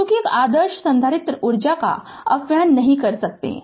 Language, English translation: Hindi, Since an ideal capacitor cannot dissipate energy right